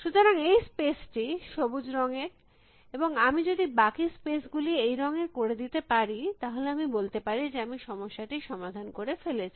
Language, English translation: Bengali, So, this space is green color and if I can somehow make rest of the spaces of one color then I can say I have solved the problem